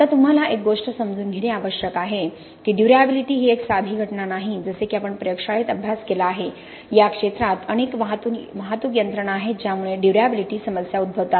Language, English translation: Marathi, Now the one thing that you need to understand is durability is not a simple phenomenon like we studied in the lab, in the field there are multiple transport mechanisms that lead to durability problems